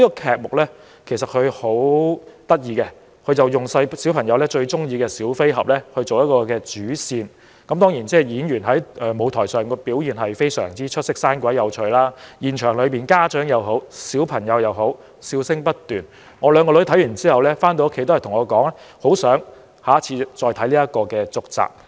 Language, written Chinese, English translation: Cantonese, 這齣音樂劇的劇目十分有趣，以小孩最喜歡的小飛俠作為主線，當然演員在舞台上的表現也十分出色，生動有趣，現場不論是家長和孩子都笑聲不斷，我的兩名女兒看完後回家告訴我，很希望下次能夠看到音樂劇的續集。, The musical was very interesting and it was centred on the main theme of Peter Pan which is every childs favourite . Certainly the actors and actresses performed very well and the characters were funny and entertaining . We kept hearing laughter from parents and children in the theatre and upon reaching home after the musical my two daughters told me that they would like to watch a sequel of the musical